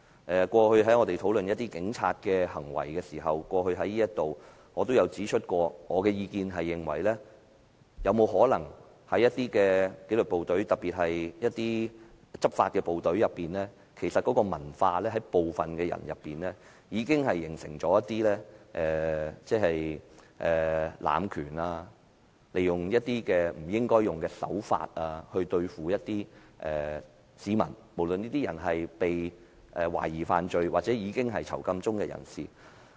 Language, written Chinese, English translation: Cantonese, 我們過去在這裏討論警察的行為時，我也曾指出，有沒有可能在一些紀律部隊，執法的部隊的文化中，部分人已形成了濫權、利用不應使用的手法來對付市民——無論這些人是被懷疑犯了罪或是正在囚禁中的人士。, When we discuss the acts of the police in the past I used to point out if it was possible for some people in certain disciplined forces or enforcement agencies to have nurtured a culture of abuse of authority and resorted to forbidden means to manhandle members of the public―no matter these members of the public were suspected offenders or inmates